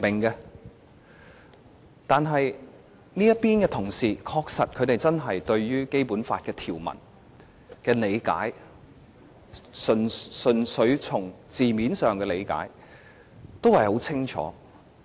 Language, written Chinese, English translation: Cantonese, 這邊的同事對於《基本法》條文，在字面上的理解，是十分清楚的。, We on this side all have a very clear understanding of the letter and spirit of the Basic Law provisions